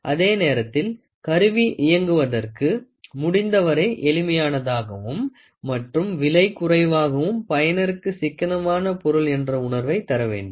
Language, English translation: Tamil, At the same time, the instrument should be as simple as possible to operate and allow price and low price to make it economical sense for the user